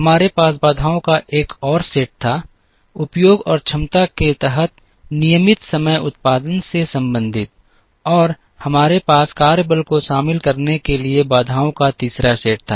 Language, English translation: Hindi, We also had another set of constraints, relating the regular time production under utilization and capacity; and we had a third set of constraints involving the workforce